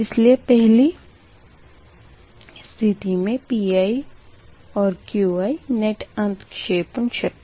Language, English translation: Hindi, so make it like this, that pi and qi will be the net injected power, right